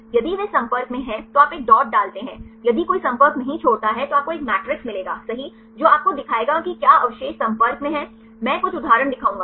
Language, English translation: Hindi, If they are in contact you put a dot if no contact leave it then you will get a matrix right will show you whether which residues are in contact right I will show a some example